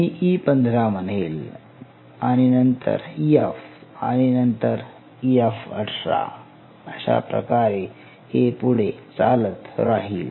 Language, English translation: Marathi, So, around I would say E15 and then F I would say F 18 likewise